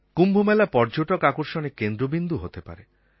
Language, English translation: Bengali, The Kumbh Mela can become the centre of tourist attraction as well